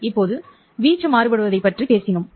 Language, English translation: Tamil, Now, we have talked about varying the amplitude